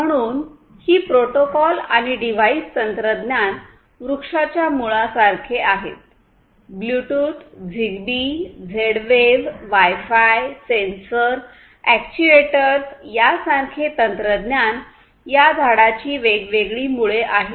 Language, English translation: Marathi, So, these protocols and device technologies are sort of like the roots of the tree; technologies such as Bluetooth, ZigBee, Z Wave wireless , Wi Fi, sensors, actuators these are the different roots of the tree